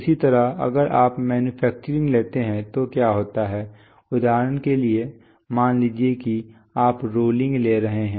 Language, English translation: Hindi, Similarly if you take manufacturing then what happens is that, for example, suppose you are taking rolling